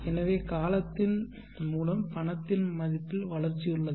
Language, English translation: Tamil, Now with time the value of the money can grow